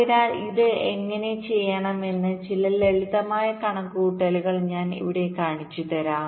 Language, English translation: Malayalam, so here i shall be showing you some simple calculation how it is done